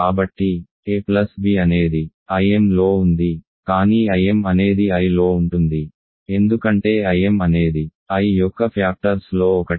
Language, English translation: Telugu, So, a plus b is in I m, but I m is contained in I because I m is one of the factors whose union is I